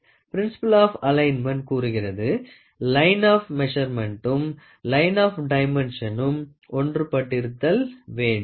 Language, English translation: Tamil, The principle of alignment states that the line of measurement and the line of dimension being measured should be coincident